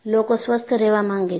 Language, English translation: Gujarati, People want to remain healthy